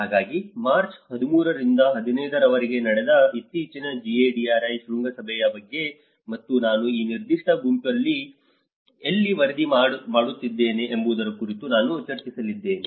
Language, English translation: Kannada, So, I am going to discuss about the recent GADRI summit which just happened on from 13 to 15 of March and where I was rapporteuring this particular group